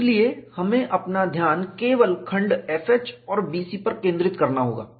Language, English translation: Hindi, So, we have to focus our attention only on the segment F H and B C